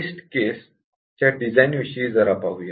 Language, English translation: Marathi, Now, let us look at the design of test cases